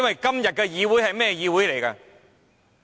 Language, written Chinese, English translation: Cantonese, 今天的議會是怎樣的呢？, What is the status of this Council today?